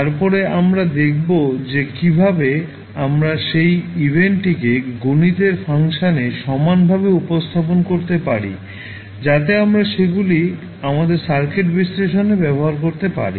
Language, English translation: Bengali, Then we will see how we can equivalently represent that event also into the mathematical function so that we can use them in our circuit analysis